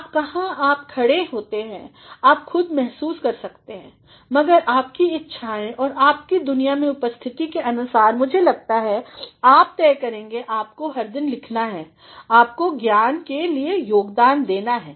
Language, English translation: Hindi, Now, where do you stand that you can yourself feel, but depending upon your own preferences and your own presence in the world I think you will decide, that you have to write every day, you have to contribute to the knowledge